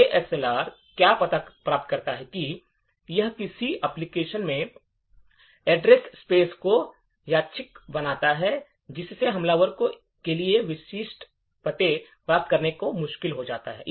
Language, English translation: Hindi, What the ASLR achieves is that it randomises the address space of an application, thereby making it difficult for the attacker to get specific addresses